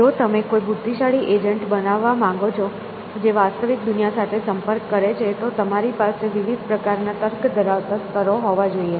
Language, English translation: Gujarati, If you want to build an intelligent agent which interacts with the real world, then you have to have at least these layers of different kinds of reasoning